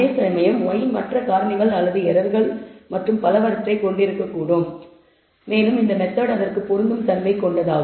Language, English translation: Tamil, Whereas, y could contain other factors or errors and so on and it is this method is tolerant to it